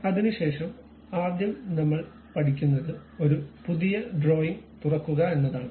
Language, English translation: Malayalam, Then the first one what we are learning is opening a New drawing